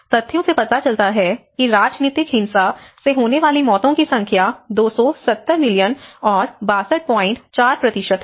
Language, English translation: Hindi, Similarly, you can see the deaths of the political violence is 270 millions and 62